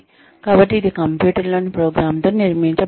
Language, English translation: Telugu, So, that it is built, in to the program, in the computer